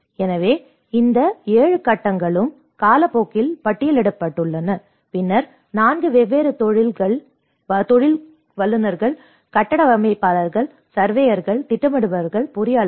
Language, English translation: Tamil, So, this is how all these 7 phases have been listed out by time and then 4 different professionals, architects, surveyors, planners, engineers